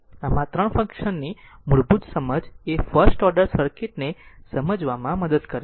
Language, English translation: Gujarati, So, basic understanding of these 3 functions helps to make sense of the first order circuit right